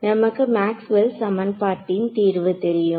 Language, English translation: Tamil, Now we know that the solution to Maxwell’s equation